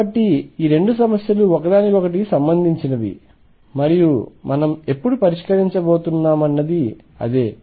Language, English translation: Telugu, So, these 2 problems are related and that is what we have going to address now